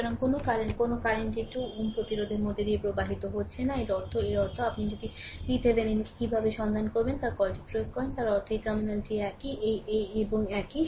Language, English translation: Bengali, So, no current no current is flowing through this 2 ohm resistance; that means, that means, if you apply your what you call how to find out V Thevenin; that means, this terminal is same; this and this is same right